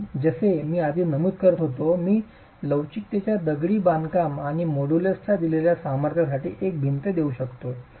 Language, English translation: Marathi, So, as I was mentioning earlier, I can take a single wall for a given strength of the masonry and modulus of elasticity